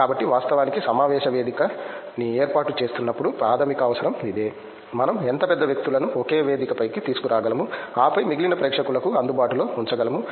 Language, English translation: Telugu, So, we actually in organization of conference that the primary requirement is this, how big people we can bring in one platform and then make available to rest of the audience